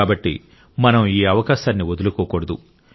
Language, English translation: Telugu, So, we should not let this opportunity pass